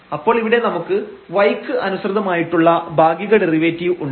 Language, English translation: Malayalam, So, we will have here the partial derivative with respect to y and multiplied by dy over dt